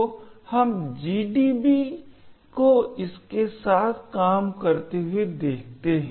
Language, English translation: Hindi, So, let us see GDB working with this